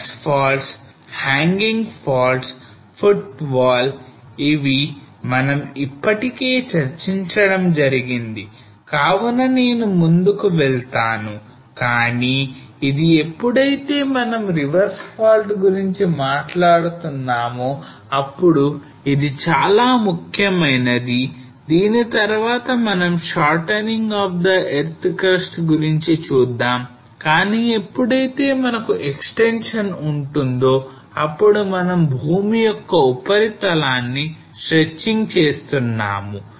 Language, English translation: Telugu, So reverse faults, hanging wall, footwall and this we have already discussed so I will just move ahead, but this is important that when we are talking about the reverse fault thing then what we see is that we have the shortening of the earth crust, but when we are having extension then we are stretching the earth surface